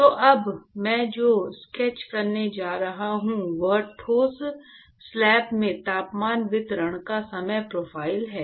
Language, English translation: Hindi, So, what I am going to sketch now is the time profile of the, time profile of the temperature distribution in the solid slab